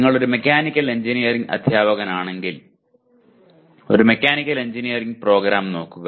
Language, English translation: Malayalam, If you are a Mechanical Engineering teacher you look at a Mechanical Engineering program as such